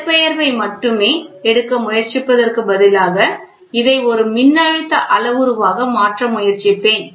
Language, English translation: Tamil, So, instead of trying to take only displacement I will try to convert this in to a voltage parameter